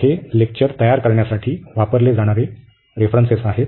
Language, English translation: Marathi, So, these are the references used for preparing these lecturers